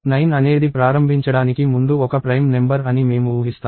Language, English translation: Telugu, I will assume that 9 is a prime number to start with